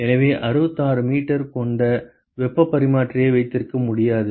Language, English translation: Tamil, So, cannot have a heat exchanger with the 66 meters